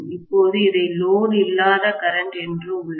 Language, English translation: Tamil, Now, I have this as the no load current, got it